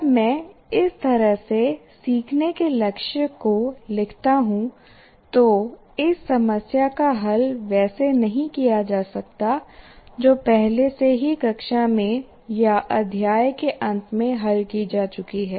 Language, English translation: Hindi, When I write this kind of thing, learning goal, it may not be like solving the problems that are already worked out in the class or at the end of the chapter of problems, it may not be that